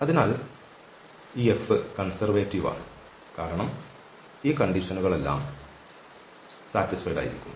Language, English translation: Malayalam, So, this F is conservative because all these conditions are satisfied